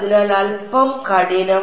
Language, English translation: Malayalam, So, slightly harder